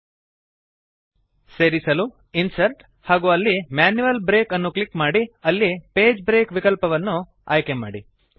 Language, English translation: Kannada, This is done by clicking Insert Manual Break and choosing the Page break option